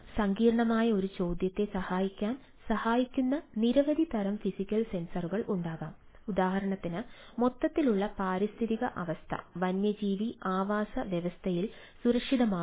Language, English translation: Malayalam, there can be many different kind of physical sensor that can helps a complex question for a, for example, are overall environmental condition safe in a wild life habitat